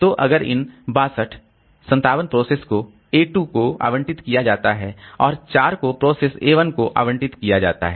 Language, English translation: Hindi, So out of this 62, 57 are allocated to process A2 and 4 are allocated to process 1